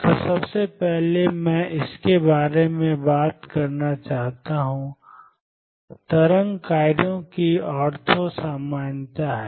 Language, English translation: Hindi, So, first in that I want to talk about is the ortho normality of wave functions